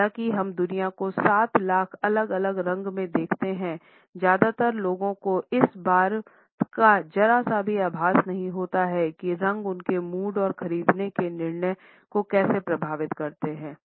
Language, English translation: Hindi, Although we see the world in 7 million different colors, most people do not have the slightest clue how colors affect their mood and purchasing decisions